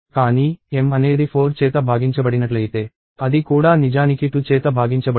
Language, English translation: Telugu, But, if m is divisible by 4 it is also actually divisible by 2